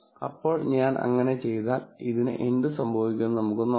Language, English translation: Malayalam, Now, if I do that then let us see what happens to this